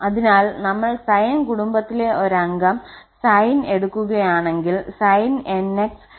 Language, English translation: Malayalam, Similarly, if we take the sin from the sine family the same member sin nx sin nx